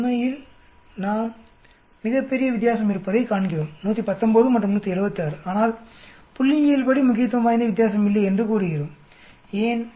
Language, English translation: Tamil, We see there is a very large difference actually 119 and 176 but statistically we are saying there is no statistically significant difference